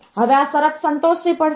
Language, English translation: Gujarati, Now, this condition has to be satisfied